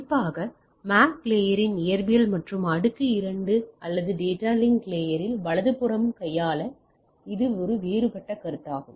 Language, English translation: Tamil, And it has different consideration to be handled at the especially at the physical and layer 2 of the MAC layer or data link layer right